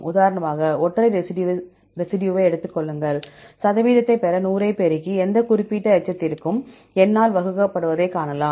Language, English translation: Tamil, You can for example, take single residue ,you can also see ni multiplied by 100 to get the percentage, and divided by the N for any specific residue i